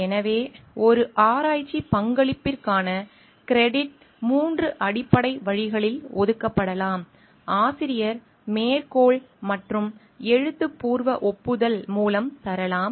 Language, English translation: Tamil, So, credit for a research contribution can be assigned in three principle ways: by authorship, by citation and via a written acknowledgment